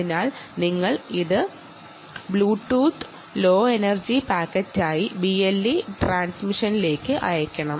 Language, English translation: Malayalam, right, so you have to send it out as a bluetooth low energy packet into the into the b l e transmission